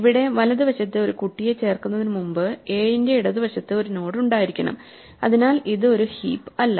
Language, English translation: Malayalam, So, we should have a node here to the left of 7 before we add a right child therefore, this is not a heap